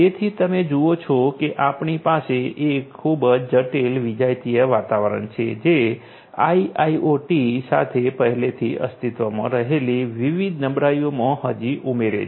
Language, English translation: Gujarati, So, you see that we have a highly complex heterogeneous environment which also adds to the different vulnerabilities that might already exist with IIoT